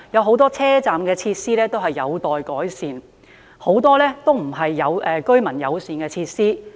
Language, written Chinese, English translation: Cantonese, 很多車站設施仍然有待改善，很多也不是居民友善的設施。, Many station facilities are yet to be improved and many of them are not user - friendly . I will talk about problems in Tai Wai